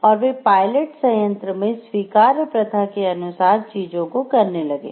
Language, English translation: Hindi, And that they did things according to accepted practices at the pilot plant